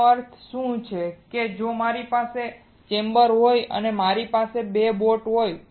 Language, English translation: Gujarati, What does that mean that if I have a chamber and if I have 2 boats right